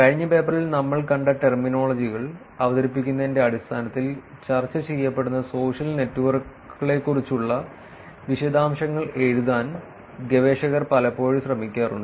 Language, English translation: Malayalam, Then many a times researchers actually tend to write details about the social network that is being discussed in terms of just introducing the terminologies which we saw in the last paper also